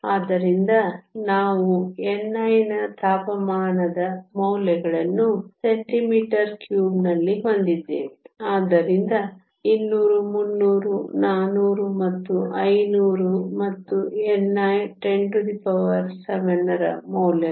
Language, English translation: Kannada, So, we have temperature values of n i in centimeter cube, so 200, 300, 400 and 500 and the values of n i 10 to the 7